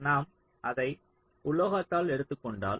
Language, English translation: Tamil, lets take suppose that we are taking it on metal